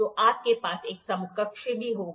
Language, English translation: Hindi, So, you will have a counterpart also